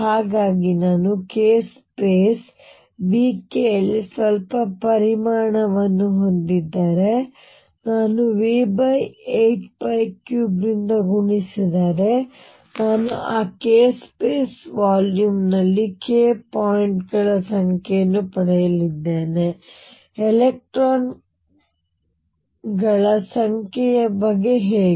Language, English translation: Kannada, So, if I have a some volume k space v k if I multiply that by v over 8 pi cubed I am going to get the number of k points in that k space volume, how about the number of electrons